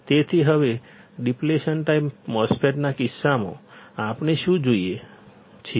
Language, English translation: Gujarati, So, now, in case of depletion type MOSFET, what we see